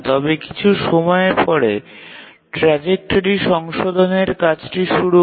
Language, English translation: Bengali, But after some time the task, the trajectory correction tasks starts